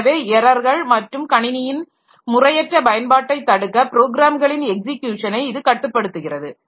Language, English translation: Tamil, So, it controls execution of programs to prevent errors and improper use of the computer